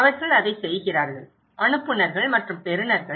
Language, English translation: Tamil, They are doing it, senders and the receivers